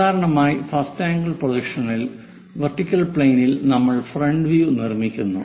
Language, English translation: Malayalam, Usually in first angle projection we construct this front view on the vertical plane